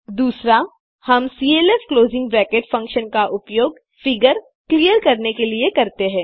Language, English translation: Hindi, We use clf closing bracket function to clear a figure